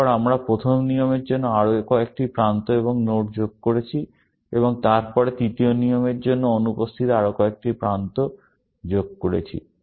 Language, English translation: Bengali, Then, we added few more edges and nodes for the first rule, and then, a few more edges, missing for the third rule